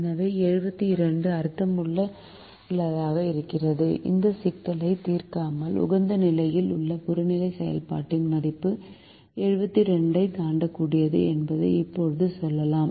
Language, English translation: Tamil, so seventy two is meaningful and we can now say that the value of the objective function at the optimum cannot exceed seventy two without solving this problem